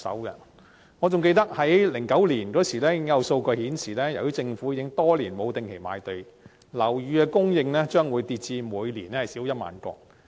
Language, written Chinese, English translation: Cantonese, 2009年已有數據顯示，由於政府多年沒有定期賣地，樓宇供應將會下跌至每年少於1萬個。, Data in 2009 had already suggested that the moratorium on regular government land sale for years would reduce the supply of residential flats to fewer than 10 000 per year